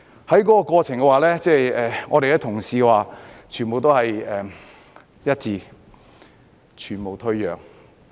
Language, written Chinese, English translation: Cantonese, 在過程中，我們的同事團結一致，全無退讓。, In the process our colleagues stood united without making any concession